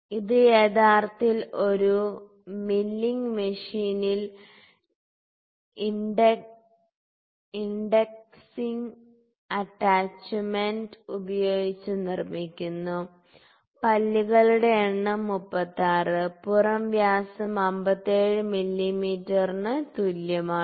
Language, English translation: Malayalam, It is it is actually manufactured on a milling machine using the indexing attachment, the number teeth is equal to 36 outer dia is equal to 57 mm